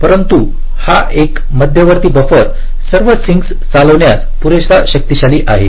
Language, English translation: Marathi, but this single centralized buffer is powerful enough to drive all the sinks